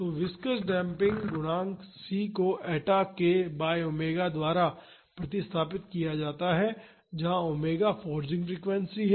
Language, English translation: Hindi, So, the viscous damping coefficient c is replaced by eta k by omega where omega is the forcing frequency